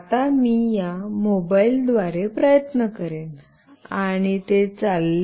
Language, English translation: Marathi, Now, I will try with this mobile, and it worked